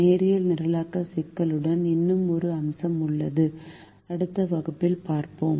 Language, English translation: Tamil, there is one more aspect to the linear programming problem and that we will see in the next class